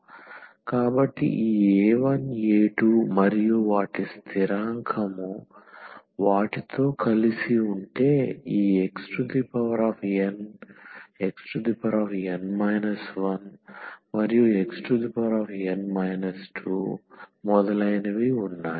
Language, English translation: Telugu, So, this a 1 a 2 an their constant was together with them we have this x power n x power n minus 1 and x power n minus 2 and so on